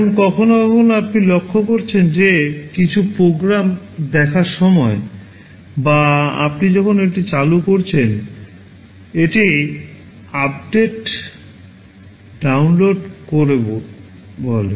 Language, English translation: Bengali, Now sometimes you may have noticed that while watching some programs or when you are switching it on, it says downloading updates